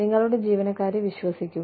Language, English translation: Malayalam, Trust your employees